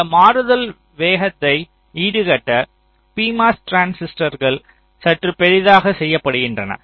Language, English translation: Tamil, so to make this switching speed comparable, the p mos transistors are made slightly bigger